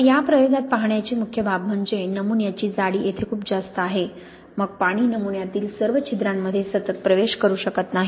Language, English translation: Marathi, Now in this experiment the main aspect to look at is the thickness of the sample; is too thick here, then the water cannot continuously penetrate all the pores in the sample